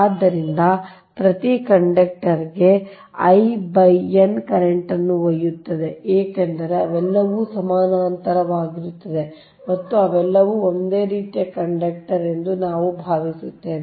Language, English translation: Kannada, so each conductor will carry currents i by n, because they all are in parallel and we assume they are all similar conductor